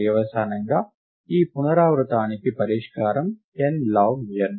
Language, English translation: Telugu, Consequently, the solution to this recurrence is n log n